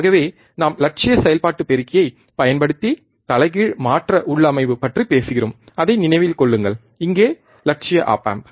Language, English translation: Tamil, Thus we are talking about inverting configuration using ideal operational amplifier, mind it, here ideal op amp